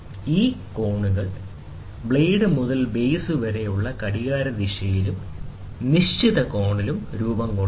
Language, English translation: Malayalam, These angles are formed in clockwise directions from the blade to the base, and the acute angle